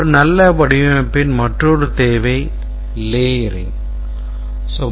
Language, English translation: Tamil, Another requirement is layering